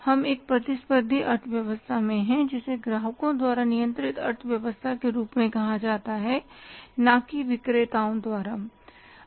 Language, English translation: Hindi, We are in a competitive economy which is called as the economy controlled by the customers not by the sellers